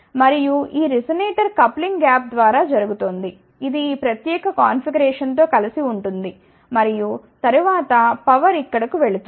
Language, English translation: Telugu, And from this resonator coupling is happening through the gap, which is coupled to this particular configuration and then power goes over here